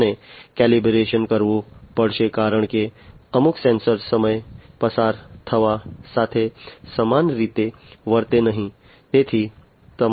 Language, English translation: Gujarati, And calibration has to be done because certain sensors would not behave the same way with passage of time